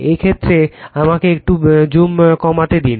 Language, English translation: Bengali, In this case let me let me reduce the zoom little bit